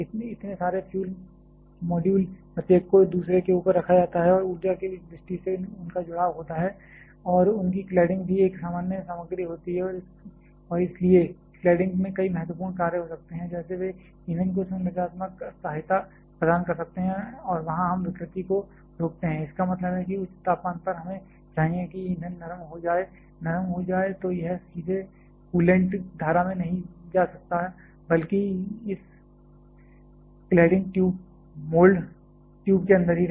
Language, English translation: Hindi, So several fluid modules, each one is put on top of the other one and their connected from energy point of view and their cladding is also a common material and hence the cladding must have, can several important function like; they can provide the structural support to the fuel and there we prevent the distortion ; that means, that higher temperature we need that the fuel gets soften, becomes soft, then it will it cannot go just directly into the coolant stream rather they remain inside this cladding tube mold, tube only